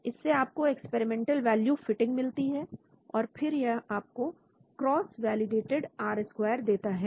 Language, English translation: Hindi, So it gives you experimental value fitting and then it gives you the cross validated R square here and so on